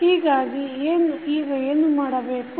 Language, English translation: Kannada, So, what you can do now